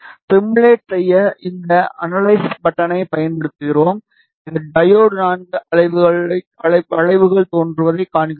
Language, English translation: Tamil, To simulate we use this button which is analyze and we see that the diode IV curves appear